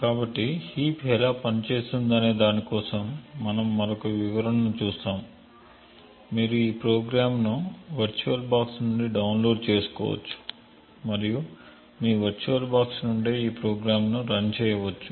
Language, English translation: Telugu, So we will be looking at another demonstration for how the heap works, we will take a small program you could actually download this program from your VirtualBox and run this program preferably from your VirtualBox